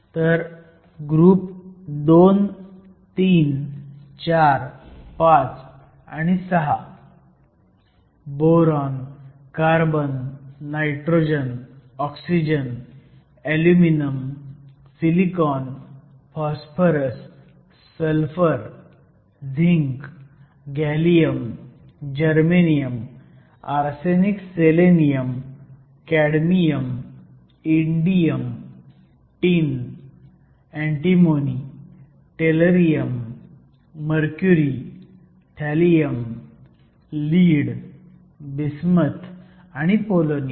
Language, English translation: Marathi, So, group II, III, IV, V and VI – Boron, Carbon, Nitrogen, Oxygen, Aluminum, Silicon, Phosphorous, Sulphur, Zinc, Gallium, Germanium, Arsenic Selenium, Cadmium, Indium, Tin, Antimony, Tellurium, Mercury, thallium, lead, bismuth and polonium